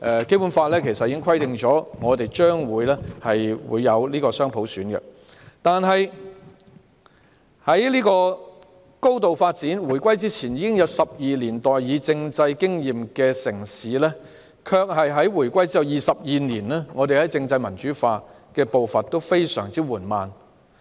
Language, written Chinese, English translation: Cantonese, 《基本法》早已訂明將會有雙普選，這個高度發展的城市，在回歸前已有12年代議政制經驗，但在回歸後22年來，政制民主化的步伐非常緩慢。, It is stipulated in the Basic Law that dual universal suffrage will be implemented in future . This highly developed city had 12 years of experience in representative government before the reunification; however the development of a democratic political system has been very slow during the 22 years after the reunification